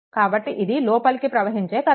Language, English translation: Telugu, So, it is your incoming current